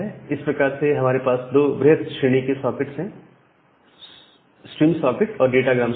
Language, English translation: Hindi, So, we have two different type of socket; the stream socket and the datagram socket